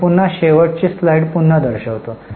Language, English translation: Marathi, I'll just show the last slide again